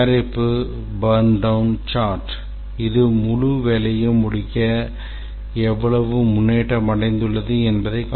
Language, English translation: Tamil, Product burn down chart, this is for the entire work to complete, how much progress has been achieved